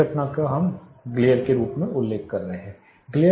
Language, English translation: Hindi, With that phenomenon we are referring as glare